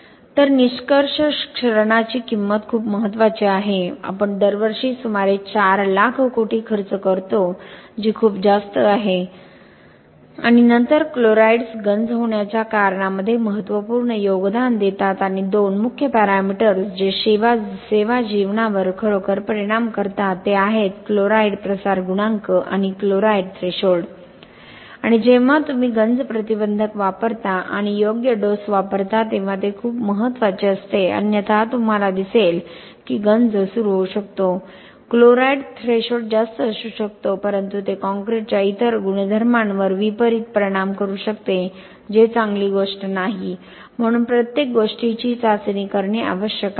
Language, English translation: Marathi, So conclusion, cost of corrosion is very significant we spend about 4 lakhs of crores per year which is very very high number and then chlorides contributes significantly to the cause of corrosion and 2 main parameters which really influences service life are chloride diffusion coefficient and chloride threshold and when you use corrosion inhibitors and appropriate dosage is very important otherwise you may see that the corrosion initiation might, the chloride threshold might be higher but it may adversely affect the other properties of the concrete which is not a good thing so everything has to be tested before we start using corrosion inhibitors and what is the dosage had to be decided